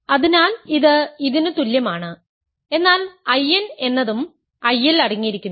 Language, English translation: Malayalam, So, if n is less than m, I n is continued in I m